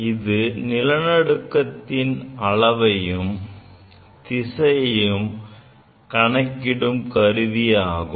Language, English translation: Tamil, It is an instrument to measure intensity and direction of earthquake